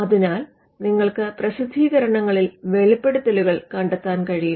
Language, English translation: Malayalam, So, publications are places where you would find disclosures